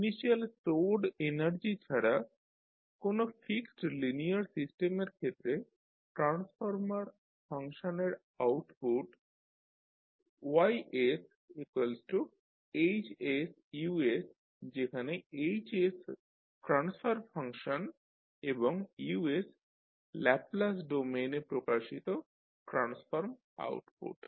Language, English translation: Bengali, So for a fixed linear system with no initial stored energy the transfer function that is transformed output that is Ys can be given by Ys equal to Hs into Us where Hs is the transfer function of the system and Us is the transform input represented in Laplace domain